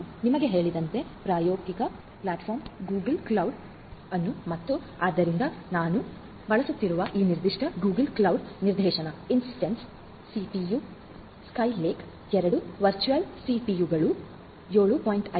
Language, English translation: Kannada, The experimental platform as I told you will be using the Google cloud and so this particular Google cloud instance we are using so, with the CPU, Intel Skylake 2 virtual CPUs RAM 7